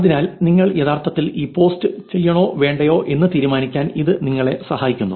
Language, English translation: Malayalam, So, this actually helps you to make a decision on whether you want to actually do this post or not